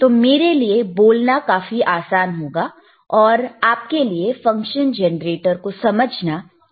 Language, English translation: Hindi, So, it is easy for me to talk, and easy for you to understand the function generator, all right